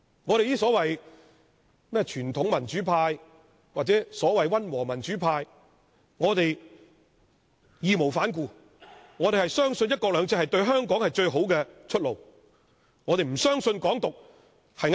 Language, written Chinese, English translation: Cantonese, 我們這些傳統民主派或溫和民主派義無反顧地相信"一國兩制"是對香港最好的出路，我們不相信"港獨"是正確的。, We the traditional democrats or the moderate democrats have no hesitation in believing that one country two systems is the best way out for Hong Kong . We do not believe Hong Kong independence is the right path